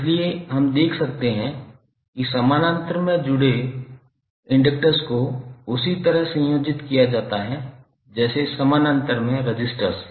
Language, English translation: Hindi, So what we can observe, we can observe that inductors which are connected in parallel are combined in the same manner as the resistors in parallel